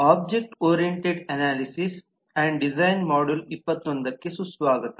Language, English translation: Kannada, welcome to module 21 of object oriented analysis and design